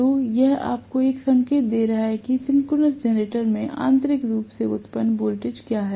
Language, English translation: Hindi, So, this is giving you an indication of what is the internally generated voltage in a synchronous generator right